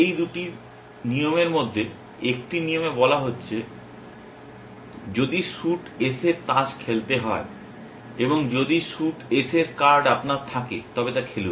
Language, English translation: Bengali, In these two rules, one rule is saying that, if you have to play a card of suit S and if you have a card of suite S play that